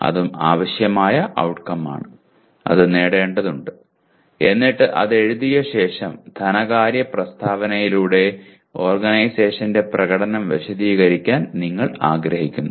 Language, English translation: Malayalam, That is also necessary outcome; that needs to be attained and then having written that you want to explain the performance of the organization through the financial statement